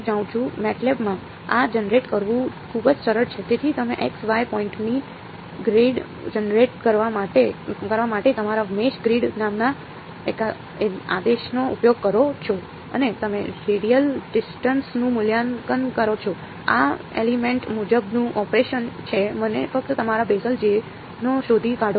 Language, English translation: Gujarati, In MATLAB its very very simple to generate this so, you use your command called meshgrid to generate a grid of X, Y points and you evaluate the radial distance this is element wise operation and just find out your Bessel J